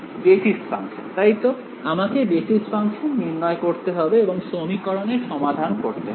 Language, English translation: Bengali, Basis functions right, I have to choose the basis functions and solve the system of equations